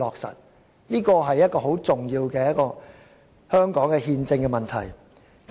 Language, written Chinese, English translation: Cantonese, 這是甚為重要的香港憲政問題。, This is a most important constitutional issue in Hong Kong